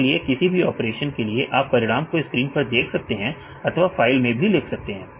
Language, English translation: Hindi, So, for any operations you can either see your results on the screen or you can write in a file